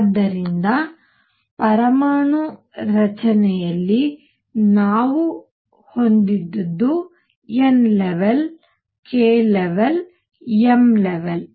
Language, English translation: Kannada, So, in the atomic structure what we had was n level k level and m level